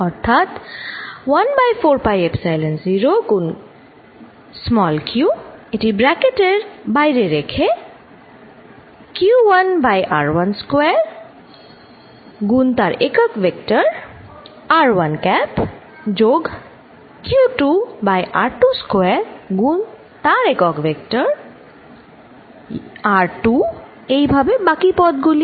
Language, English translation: Bengali, So, this is going to be 1 over 4 pi epsilon 0, which is common; q, q1 over r1 square r1 unit vector plus q2 over r2 square r2 unit vector plus so on